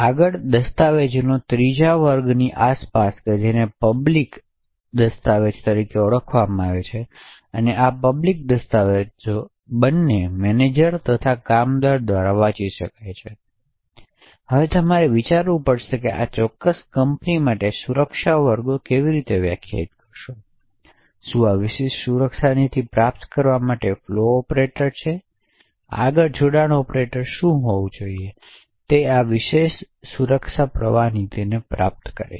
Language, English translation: Gujarati, Further around a third class of documents which are known as public documents, so these public documents can be read by the both the managers as well as the workers, now you have to think about how would you define security classes for this particular company, what is the flow operator to achieve this particular security policy, further what should be the join operator achieve this particular security flow policy